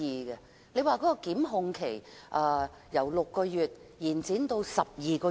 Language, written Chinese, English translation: Cantonese, 應否把檢控期限由6個月延長至12個月？, Should the time limit for prosecution be extended from 6 months to 12 months?